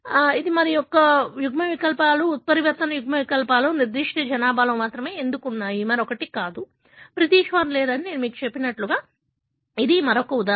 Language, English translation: Telugu, Thisis another example as to why certain alleles, mutant alleles are present only in certain population, not in the other, like I told you that British do not have and so on